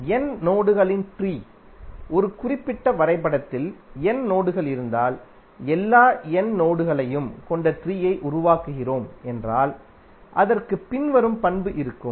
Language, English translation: Tamil, Tree of n nodes, suppose if there are n nodes in a particular graph and we are creating tree containing all the n nodes then it will have the following property